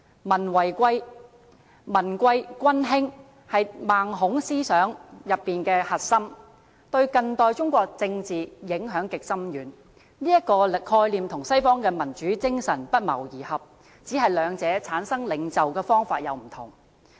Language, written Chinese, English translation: Cantonese, 民貴君輕是孟孔思想的核心，對近代中國政治影響極深遠，這個概念跟西方的民主精神不謀而合，只是兩者產生領袖的方法有所不同。, This thinking which has a profound impact on modern political history of China agrees with the spirit of democracy in the West . The two only differ in the way their leaders are produced